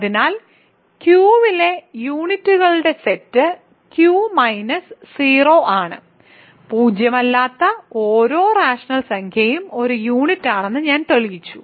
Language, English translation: Malayalam, So, one thing I should mention the set of units in Q is Q minus 0, I proved that every non zero rational number is a unit